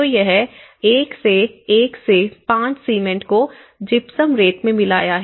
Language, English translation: Hindi, So, this is where 1:1:5 or cement is to gypsum sand